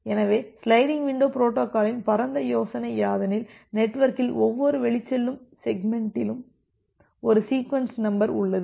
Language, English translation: Tamil, So, the broad idea of a sliding window protocol is as follows, that each outbound segment in the network, it contains a sequence number